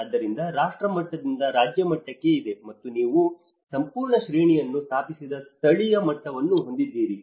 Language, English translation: Kannada, So, there is from nation level to the state level, and you have the local level that whole hierarchy has been established